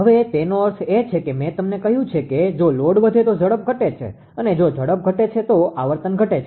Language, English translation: Gujarati, Now, that means, that if load increases if load increases I told you speed decreases ah speed decreases that is frequency decreases, right